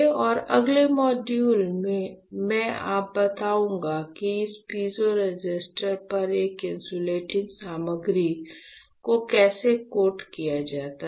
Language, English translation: Hindi, And in the next module, I will tell you how to coat an insulating material on this piezo resistor